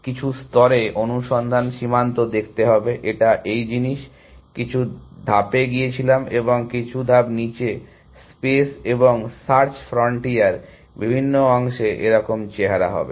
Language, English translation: Bengali, At some level, the search frontier would look like; it would have gone some steps to this thing and some steps down at different parts of the space and search frontier look like